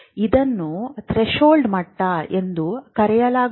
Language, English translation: Kannada, So, this is called a threshold level